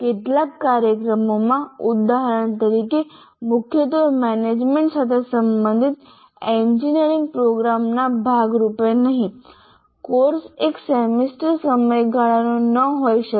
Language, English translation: Gujarati, In some programs, for example, especially related to management, not as part of engineering program outside, the course may not be a one semester duration